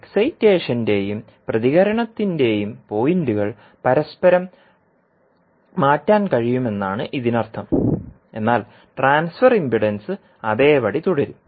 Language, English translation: Malayalam, It means that the points of excitation and response can be interchanged, but the transfer impedance will remain same